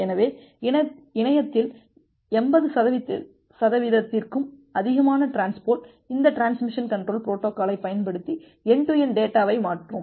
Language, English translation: Tamil, So, more than 80 percent of the traffic over the internet it uses this transmission control protocol to transfer end to end data